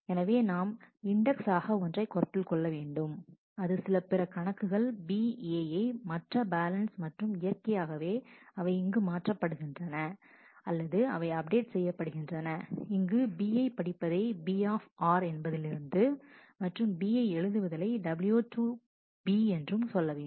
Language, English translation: Tamil, So, we symbolically just consider one; that is, some other account B other than the balance a and naturally to do the change here or do the update here will have to read B r to be and w to B